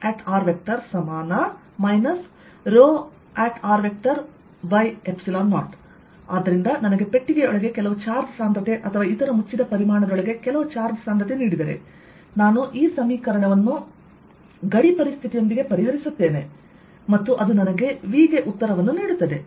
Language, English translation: Kannada, so if i am given some charge density inside a box or some other close volume, some charge density, i solve this equation with the boundary condition and that gives me the answer for v